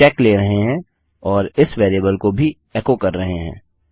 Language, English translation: Hindi, We are taking the check and echoing out this variable as well